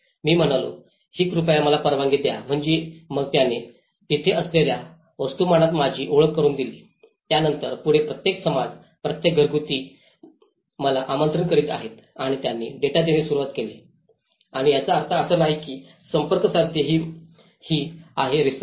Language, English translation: Marathi, I said can you please allow me so then he introduced me in the mass that is where, then onwards every community, every household is inviting me and they have started giving the data and so which means the idea is to approach to not to do a research